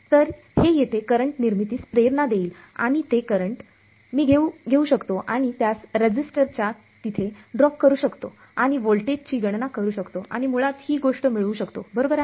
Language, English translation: Marathi, So, this is going to induce a current over here and that current I can take it and drop it across the resistor calculate the voltage and basically get this thing right